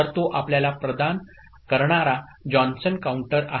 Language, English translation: Marathi, So, that is the Johnson counter providing you